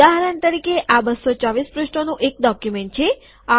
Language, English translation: Gujarati, For example, its a 224 page document